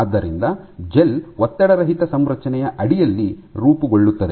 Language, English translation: Kannada, So, that the gel forms under an unstressed configuration